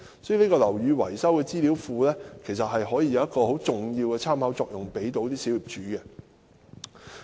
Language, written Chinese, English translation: Cantonese, 所以，"樓宇維修資料庫"可以為小業主提供很重要的參考。, Hence a database on building maintenance can provide crucial reference to owners